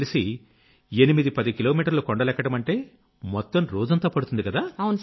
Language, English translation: Telugu, I know that 810 kilometres in the hills mean consuming an entire day